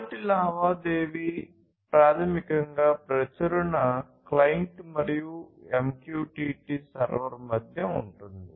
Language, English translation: Telugu, The first transaction is basically between the publishing client and the MQTT server and the second transaction is between the MQTT server and the subscribing client